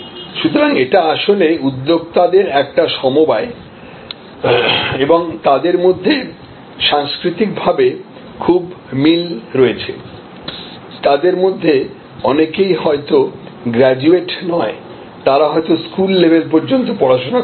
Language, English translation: Bengali, So, this is actually a cooperative of entrepreneurs and there all culturally very similar, many of them may be you know not graduates, they may be just educated at school level